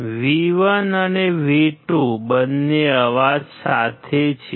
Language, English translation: Gujarati, Both V1 and V2 are accompanied by noise